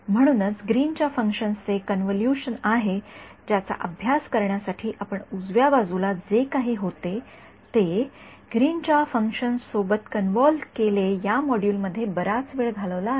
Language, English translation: Marathi, So, it is the convolution of this Green’s function which we have spent a lot of time studying in the module on Green’s function convolved with whatever was on the right hand side